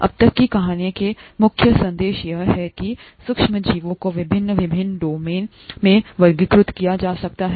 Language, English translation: Hindi, If you, the main messages from the story so far has been that there is there are microorganisms and they they can be categorised into various different domains